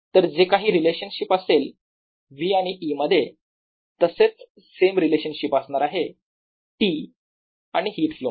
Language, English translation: Marathi, so whatever the relationship is between v and e is the same relationship between t and the heat flow